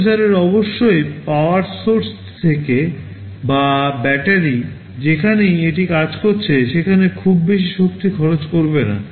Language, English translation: Bengali, The processor must not consume too much energy from the power source or from the battery wherever it is working